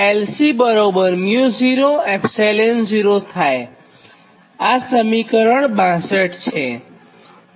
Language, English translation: Gujarati, this is equation sixty six